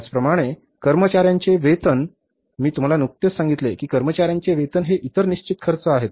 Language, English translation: Marathi, I just told you that the salaries of the employees are the other fixed expenses